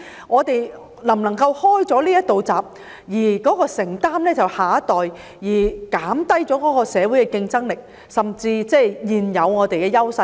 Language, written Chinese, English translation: Cantonese, 我們是否打開這道閘，由下一代承擔，因而減低社會的競爭力，甚至削弱我們現有的優勢呢？, Should we open this gate and make our next generation bear the burden of universal retirement protection with the consequence of lowering the competitiveness of our society and undermining our existing advantages?